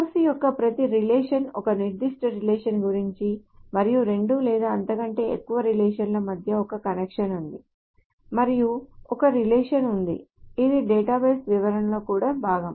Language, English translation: Telugu, So each relation, of course, stores about a particular relationship and between two or more relationships there is a connection and there is a relationship which is also part of the database description